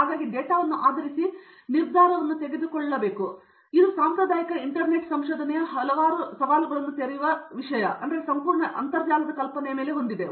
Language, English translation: Kannada, So there should be somebody who makes a decision based on the data so this entire notion of internet of things as opened up several challenges in the traditional area of research